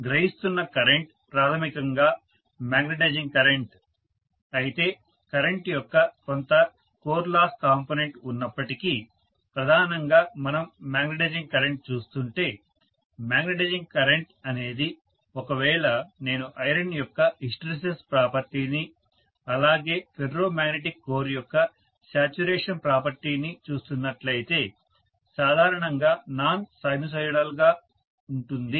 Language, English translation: Telugu, The current that is being drawn is basically the magnetizing current, although there is some core loss component of current primarily if we are looking at magnetizing current the magnetizing current is going to be normally non sinusoidal if I am looking at the hysteresis property of iron as well as saturation property of the ferromagnetic core